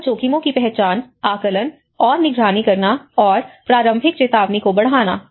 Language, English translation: Hindi, Identify, assess, and monitor disaster risks and enhance early warning